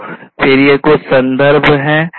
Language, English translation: Hindi, So, these are again some of the references